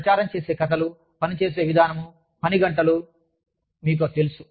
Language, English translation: Telugu, The stories, that propagate, the way of working, the hours, you know